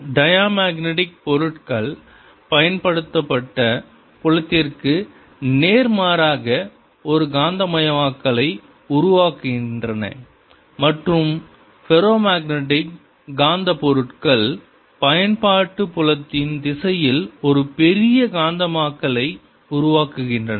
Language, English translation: Tamil, diamagnetic materials: they develop a magnetization opposite to the applied field and ferromagnetic materials develop a large magnetization in the direction of applied field